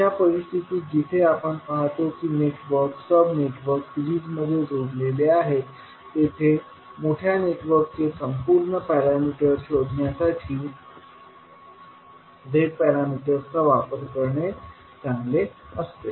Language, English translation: Marathi, So in that case where we see that the networks, sub networks are connected in series, it is better to utilise the Z parameters to find out the overall parameter of the larger network